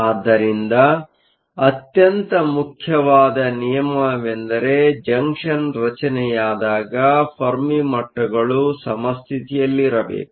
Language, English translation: Kannada, So, the most important rule, when a junction is formed is that, the Fermi levels must line up at equilibrium